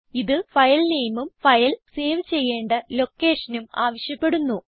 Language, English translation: Malayalam, It prompts for filename and location in which the file has to be saved